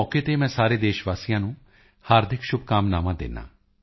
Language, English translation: Punjabi, On the occasion of Sanskrit week, I extend my best wishes to all countrymen